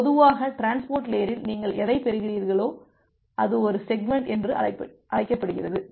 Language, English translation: Tamil, So, in general at the transport layer whatever you are getting, so that is called a segment